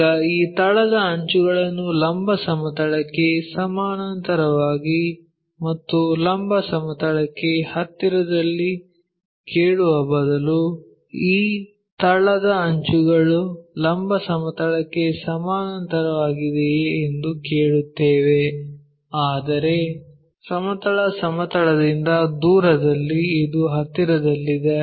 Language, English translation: Kannada, Now, instead of asking these base edge parallel to vertical plane and near to vertical plane what we will ask is if this base edge is parallel to vertical plane, but far away from horizontal plane where this one will be near to that